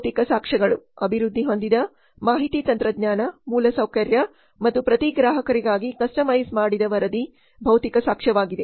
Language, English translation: Kannada, Physical evidence developed information technology infrastructure and customized report for every customer that is the physical evidence